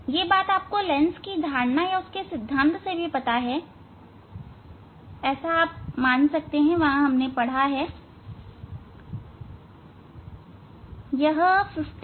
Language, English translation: Hindi, that you can you can come from the theory of the lens you can guess you can assume that one